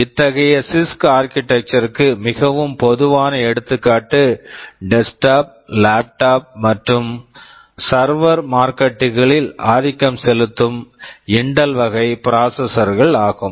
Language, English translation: Tamil, The most common example of such CISC architecture are the Intel classes of processors which dominate the desktop, laptop and server markets